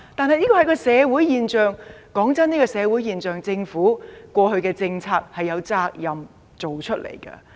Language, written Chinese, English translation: Cantonese, 老實說，出現這種社會現象，政府過去的政策也要負上責任。, Frankly the past policies of the Government are also to blame for the emergence of such a social phenomenon